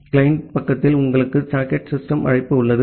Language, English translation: Tamil, At the client side you have the socket system call